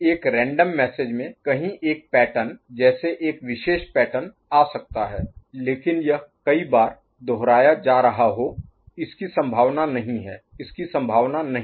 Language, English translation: Hindi, In a random message somewhere a pattern, like a particular pattern may come, but it is getting repeated number of times it is unlikely, it is unlikely ok